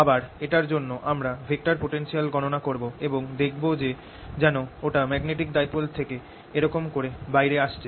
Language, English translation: Bengali, we'll calculate the vector potential due to this and show that vector potential goes to as if it's coming out of a magnetic dipole like this